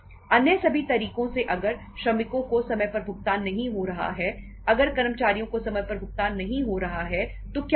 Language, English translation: Hindi, All other means if the workers are not being paid on time, if employees are not being paid on time so what will happen